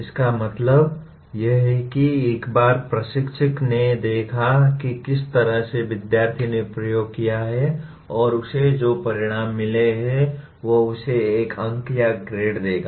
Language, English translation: Hindi, That means once the instructor observes to in what way the student has performed the experiment and got the results he will give a mark or a grade to that